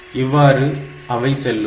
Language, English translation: Tamil, That way it goes